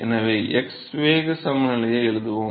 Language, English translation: Tamil, So, let us write the x momentum balance